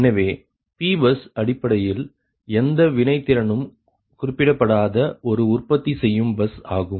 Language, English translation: Tamil, so p bus is basically a generation bus right with no reactive power specified, right